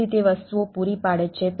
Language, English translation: Gujarati, so it provides the things